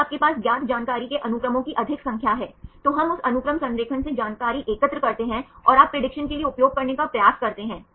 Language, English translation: Hindi, If you have more number of sequences of known information, then we gather the information from that sequence alignment and you can try to use for prediction